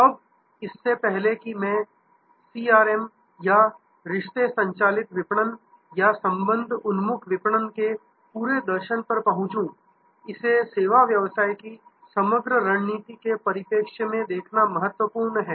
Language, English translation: Hindi, Now, before I get on to CRM or this whole philosophy of relationship driven marketing or relationship oriented marketing, it is important to see it in the perspective of the overall strategy of the service business